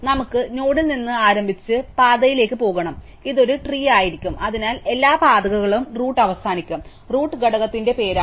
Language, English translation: Malayalam, We have to start with the node and go up the path and this will be a tree, so every path will end up the root and the root will be the name of the component